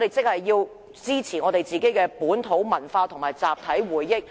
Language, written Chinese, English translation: Cantonese, 換言之，我們必須支持本土文化和集體回憶。, In other words we should support local culture and preserve our collective memories